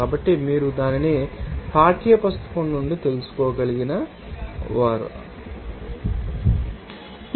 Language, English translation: Telugu, So, those you can find it out from the textbook at it is given in the appendix